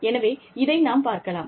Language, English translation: Tamil, So, let me show this, to you